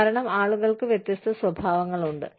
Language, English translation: Malayalam, Because, people have different characteristics